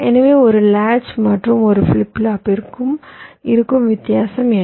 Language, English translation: Tamil, so what is a difference between a latch and a flip flop